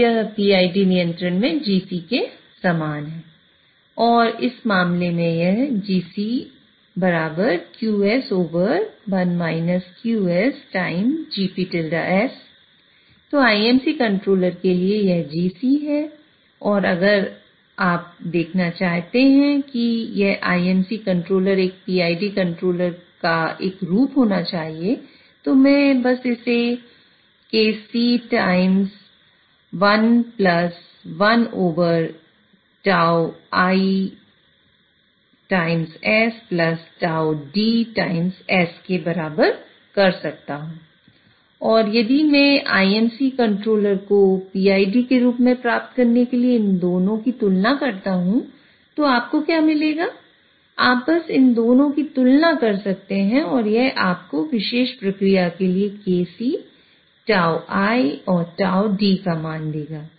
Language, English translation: Hindi, And if I want to see that this IMC controller should have a form of a PID controller, I can simply equate it to KC 1 plus 1 over tau YS plus tau D s and if I compare these two in order to get a realization of IMC controller in terms of PID what you will get is you can simply compare these two and it will give you the values of KC tau I and tau Tau D for a particular process